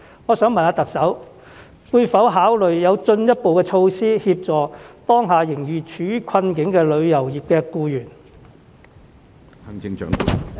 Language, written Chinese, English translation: Cantonese, 我想問特首會否考慮有進一步措施，協助當下仍然處於困境的旅遊業僱員？, May I ask the Chief Executive whether she will consider introducing any further measures to help employees in the tourism industry who are still in dire straits?